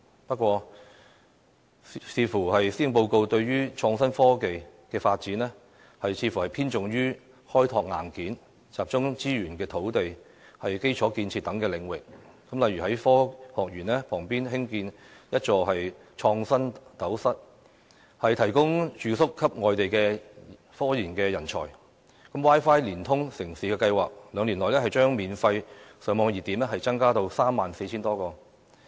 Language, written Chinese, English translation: Cantonese, 不過，觀乎施政報告就創新科技的發展方面，似乎偏重於開拓"硬件"，集中資源在土地、基礎建設等領域，例如在科學園旁舉建一座"創新斗室"，提供住宿給外地科研人才、"Wi-Fi 連通城市"的計劃，兩年內將增加免費上網熱點至 34,000 多個。, However regarding the contents of the Policy Address concerning innovation and technology it seems that emphasis has been placed on developing hardware including allocating resources mainly for increasing land supply and taking forward infrastructure projects such as the construction of an InnoCell adjacent to the Science Park to provide residential units to scientific research personnel from outside Hong Kong; the launch of the Wi - Fi Connected City Programme to increase the number of free Wi - Fi hotspots to 34 000 or so within two years